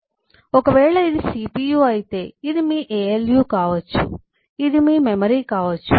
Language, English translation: Telugu, so if this happens to be cpu, then this could be your alu, this could be your memory and so on